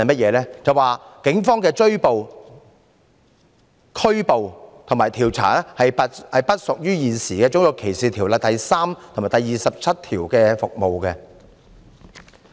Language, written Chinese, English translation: Cantonese, 便是警方進行的拘捕和調查不屬於現時《種族歧視條例》第3及27條中所指的"服務"。, The reason is that the arrest and inquiries made by the Police are not considered as services referred to in sections 3 and 27 of RDO